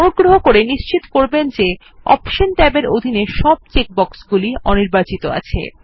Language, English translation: Bengali, Ensure that all the check boxes in the Options tab are unchecked